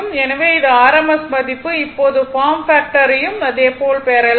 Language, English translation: Tamil, So, this is your rms value now form factor will be same way you can get it it will be 1